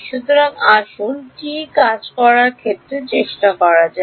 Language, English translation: Bengali, So, let us lets try to work that out